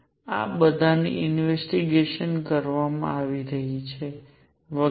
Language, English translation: Gujarati, These are all being investigated and so on